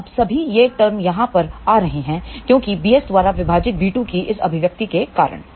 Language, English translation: Hindi, Now, all these terms over here they are coming because of this expression of b 2 divided by b s